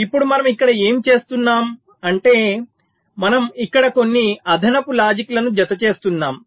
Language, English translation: Telugu, now what we are doing here is that we are adding some extra logic